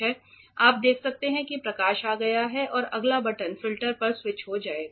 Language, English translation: Hindi, So, you can see light has come and the next button will switch on the filter